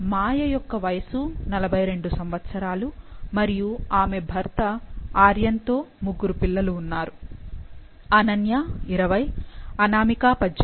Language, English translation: Telugu, So, this Maya’s husband Aryan and she has three children that is Ananya, Anamika and Tarun